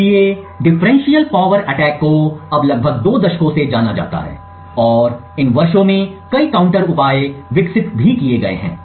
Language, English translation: Hindi, So differential power attacks have been known for almost two decades now and there have been several counter measures that have been developed over these years